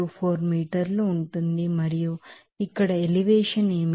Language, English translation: Telugu, 24 meter per second and what is the elevation here